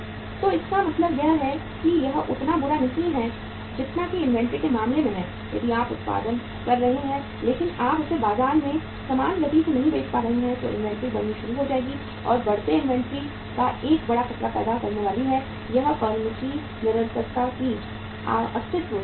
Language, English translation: Hindi, So it means that is not that bad as it is in case of inventory if you are producing but you are not able to sell it in the market at the same pace then inventory will start mounting and that mounting inventory is going to cause a big threat to the existence of the or the continuance of the firm